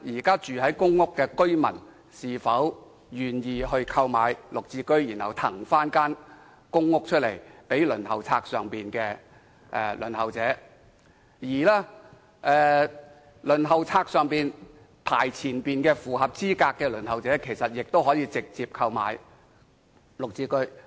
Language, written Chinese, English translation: Cantonese, 公屋居民如果願意購買綠置居，便可騰出其公屋單位予輪候者，而在輪候冊上排較前位置並符合資格的輪候者，其實亦可直接購買綠置居。, If PRH residents are willing to buy GSH flats they can vacate their flats to those on the waiting list . Those who are high on PRH waiting list can also buy GSH flats directly